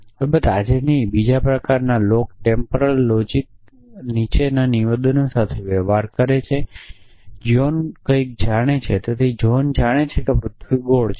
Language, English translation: Gujarati, Of course, not today now another kind of log temporal logics deal with statements like the following that John knows something so John knows that the earth is round